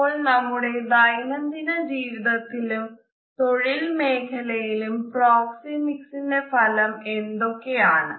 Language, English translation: Malayalam, So, what exactly are the Connotations of proxemics in our day to day life, as well as in our day to day professional performance